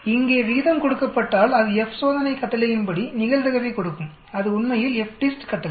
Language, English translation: Tamil, Whereas here given the ratio it will give the probability that is that F test command, that is the FDIST command actually